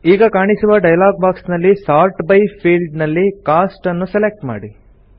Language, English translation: Kannada, In the dialog box which appears, first select Cost in the Sort by field